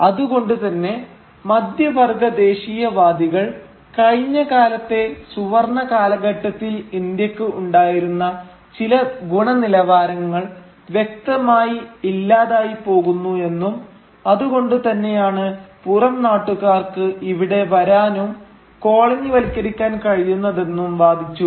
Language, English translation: Malayalam, So, the middle class nationalists therefore argued that clearly India had started lacking some quality which they had possessed during the fabled golden age of the past, which was why the outsiders could come and colonise the land